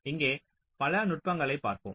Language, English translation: Tamil, so we shall see a number of various techniques here